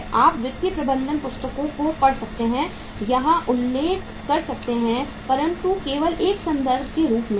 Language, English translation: Hindi, So you can refer to any of the financial management books also but that is the as a reference books